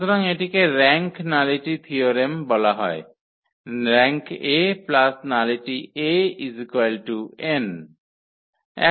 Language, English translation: Bengali, So, this is called the rank nullity theorem, rank of a plus nullity of A is equal to n